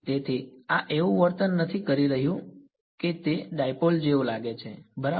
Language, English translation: Gujarati, So, this is acting like it seems like a dipole right